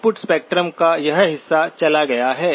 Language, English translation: Hindi, This portion of the input spectrum is gone